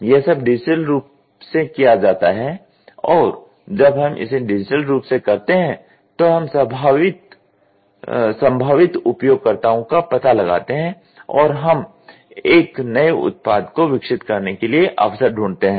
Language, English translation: Hindi, It is all done digitally and when we do it digitally, we look at the potential users and we look at the opportunity while for developing a new product